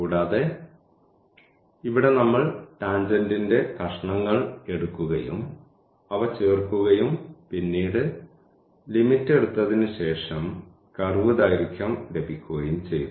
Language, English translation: Malayalam, And, and here we have taken the pieces of the tangent and then we have added them after taking the limit we got the curve length